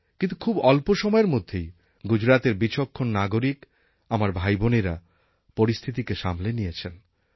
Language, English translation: Bengali, But in a very short span of time, the intelligent brothers and sisters of mine in Gujarat brought the entire situation under control